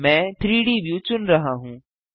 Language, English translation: Hindi, I am selecting the 3D view